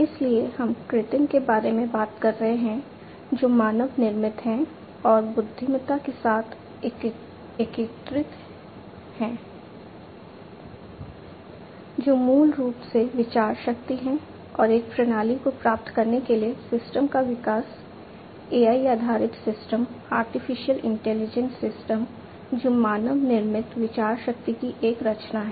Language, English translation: Hindi, So, we are talking about artificial, which is manmade and integrating with the intelligence, which is basically the thinking power and together achieving a system, the development of the system an AI based system Artificial Intelligence system which is a creation of man made thinking power